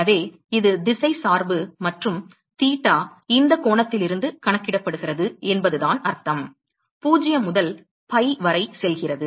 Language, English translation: Tamil, So, that is what it means by saying it has directional dependence and theta is counted from this angle: going from 0 to pi